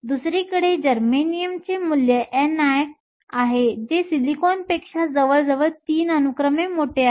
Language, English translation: Marathi, Germanium, on the other hand has a value of n i that is nearly 3 orders of magnitude higher than silicon